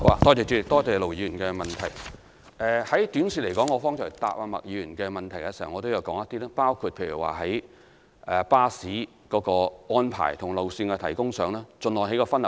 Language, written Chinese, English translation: Cantonese, 短期而言，正如我剛才回答麥議員的補充質詢時也略為提及，包括就巴士安排和路線提供上，盡量作出分流安排。, In the short run as I have briefly mentioned when answering Ms MAKs supplementary question earlier on we will try to divert visitors through the arrangement of buses and alignment of the routes